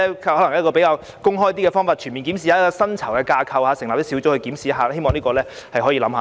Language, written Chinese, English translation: Cantonese, 譬如以較公開和全面的方法檢視薪酬架構，又或成立小組進行檢視，希望政府會考慮。, For example the Secretary may review the pay structure in a more open and comprehensive manner or set up a working group to carry out such reviews . I hope the Government will consider this suggestion